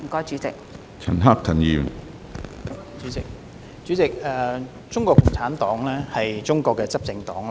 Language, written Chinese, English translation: Cantonese, 主席，中國共產黨是中國的執政黨。, President CPC is the ruling party of China